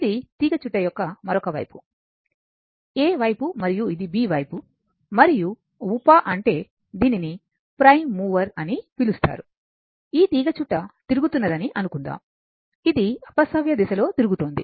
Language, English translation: Telugu, This is other side of the coil, this is side A and this is side B and by sub means, it is called prime number say this coil is revolving, it is rotating in the anticlockwise direction